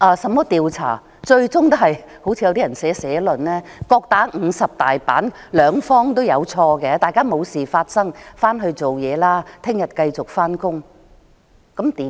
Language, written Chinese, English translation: Cantonese, 甚麼調查最終也是一如部分社論所說的"各打五十大板"，雙方也有錯誤的，大家當作沒事發生，回去工作，明天繼續上班。, All investigations will ultimately come to the conclusion that as written in some editorials both sides are at fault and require penalty . Both sides have made mistakes so everyone would just take it as if nothing had happened get back to work and go to office as usual tomorrow